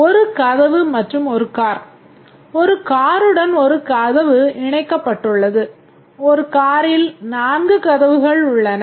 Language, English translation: Tamil, A door is attached to one car, a car has four doors